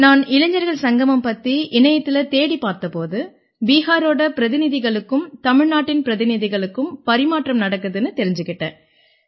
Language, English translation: Tamil, When I started searching about this Yuva Sangam on Google, I came to know that delegates from Bihar were being exchanged with delegates from Tamil Nadu